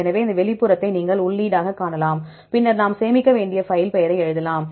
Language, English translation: Tamil, So, you can see this outfile as a input, then you can write the what the file name which one we need to save